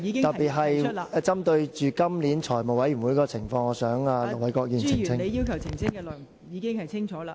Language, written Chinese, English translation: Cantonese, 特別是針對今年財務委員會的情況，我想請盧偉國議員作出澄清。, May I ask Ir Dr LO Wai - kwok to clarify especially in connection with the work of the Finance Committee this year?